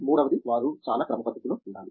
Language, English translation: Telugu, Third is that they should be very systematic